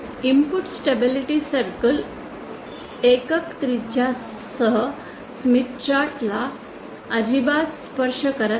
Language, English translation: Marathi, The input stability circle does not touch the smith with unit radius at all